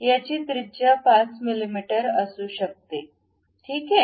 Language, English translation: Marathi, It can be some 5 millimeters radius, ok